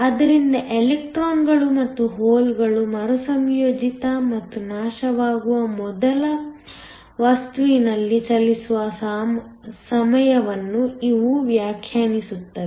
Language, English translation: Kannada, So, these define the time the electrons and holes can travel in the material before they get recombined and destroyed